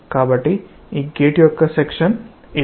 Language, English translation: Telugu, So, this is the section of this gate